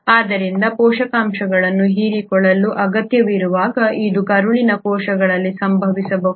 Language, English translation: Kannada, So when there has to be a need of the, for the absorption of nutrients then this can happen in intestinal cells